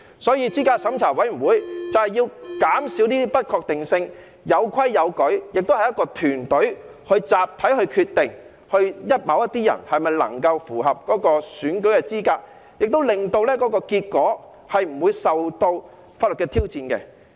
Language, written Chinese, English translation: Cantonese, 所以，資審會就是要減少這些不確定性，有規有矩，並會由一個團隊集體決定某些人是否能夠符合選舉資格，亦令結果不會受到法律的挑戰。, So CERC is set up to minimize these uncertainties with rules and procedures . Meanwhile the decision on the eligibility of some people for running in an election will be made collectively by a team of people so that the result will not be subject to legal challenges